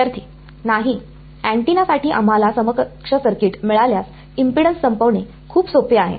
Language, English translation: Marathi, No if we will get the equivalent circuit for the antenna it is very easy to terminates impedance